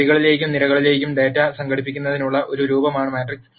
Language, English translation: Malayalam, Matrix is a form of organizing data into rows and columns